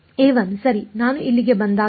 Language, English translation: Kannada, a 1 right when I come here